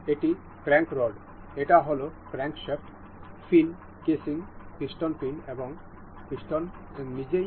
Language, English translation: Bengali, This is crank rod; this is crankshaft; the fin casing; the crank casing; the piston pin and the piston itself